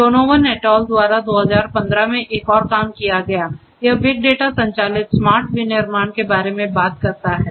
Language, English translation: Hindi, Another work from 2015 by Donovan et al it talks about big data driven smart manufacturing